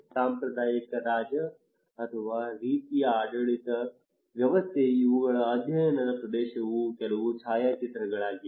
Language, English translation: Kannada, Traditional king or kind of governance system these are some of the photographs of the study area